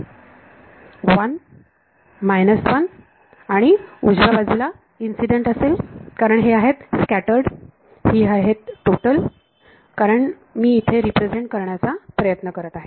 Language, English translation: Marathi, 1, 1 and the right hand side will have incident field because these are scattered these are total because I am trying to represent